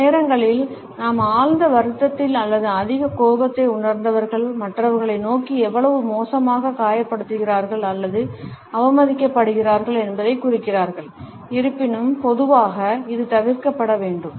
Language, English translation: Tamil, Sometimes we feel that people who have been deeply upset or feel excessive anger often point towards others to indicate how badly they have been hurt or insulted; however, normally it should be avoided